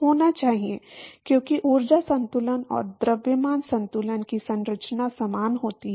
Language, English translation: Hindi, Should be, because the energy balance and mass balance they have similar structure